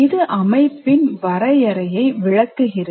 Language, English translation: Tamil, So that is one definition of system